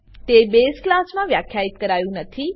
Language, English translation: Gujarati, It is not defined in the base class